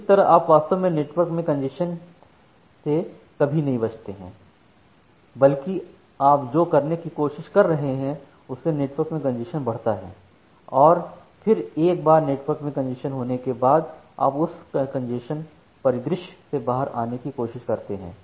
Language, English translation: Hindi, So, that way you are actually never avoiding the congestion in the network, rather what you are trying to do you are trying to have congestion in the network and then once congestion happens in the network, you are trying to coming out of that congestion scenario